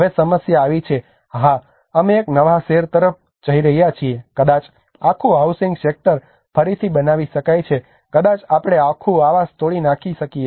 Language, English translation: Gujarati, Now comes the problem yes we are moving to a new city maybe the whole housing sector can be rebuilt again maybe we can demolish the whole housing